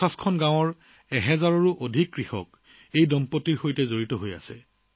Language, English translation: Assamese, Today more than 1000 farmers from 50 villages are associated with this couple